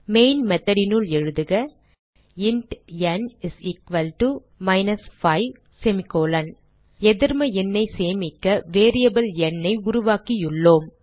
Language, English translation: Tamil, So inside the main method type int n = minus 5 We have created a variable n to store the negative number